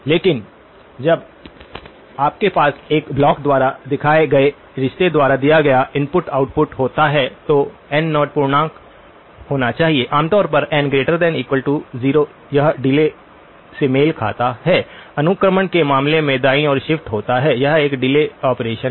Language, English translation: Hindi, But when you have an input output given by a relationship shown by this block n naught has to be an integer, so n naught has to be an integer typically, n naught greater than 0, this corresponds to delay, a shift to the right in terms of the indexing, this is a delay operation